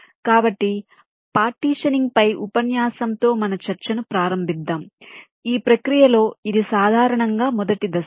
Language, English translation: Telugu, so we start our discussion with a lecture on partitioning, which is usually the first step in this process